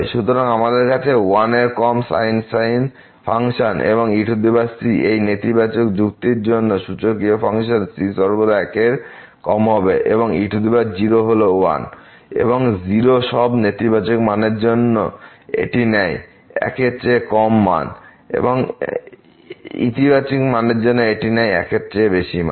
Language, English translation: Bengali, So, we have less than equal to one the function and the power the exponential function for this negative argument will be always less than because power is and o for all a negative values it takes value less than for positive values it will take more than